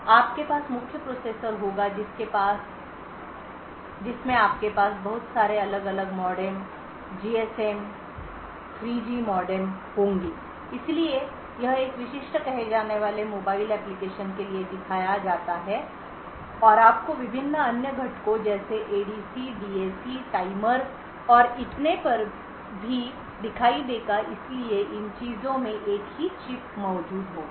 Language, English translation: Hindi, So you would have example the main processor you have a lot of different modems GSM 3G modem so this is shown for a typical say a mobile application and you would also see various other components such as ADC, DAC, timers and so on, so all of these things would be present in a single chip